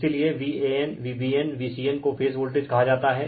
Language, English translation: Hindi, So, V a n, V b n, V c n are called phase voltages right